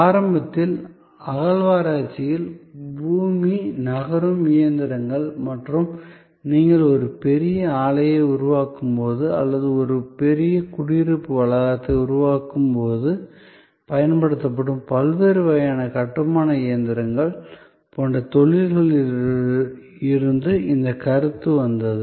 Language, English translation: Tamil, Initially, this concept came about from industries like earth moving machinery in a excavation and various other kinds of construction machinery that are used, when you are creating a large plant or creating a large residential complex